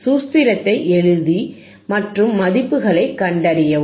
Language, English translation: Tamil, Put the formula and find the values